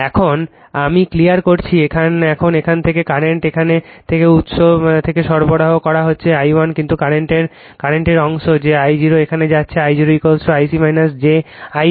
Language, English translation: Bengali, Now, I am clearing it now current from here from the source from the supply it is I 1, but part of the current that I 0 is going hereI 0 is equal to your I c minus j I m